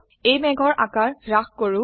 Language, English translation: Assamese, Let us reduce the size of this cloud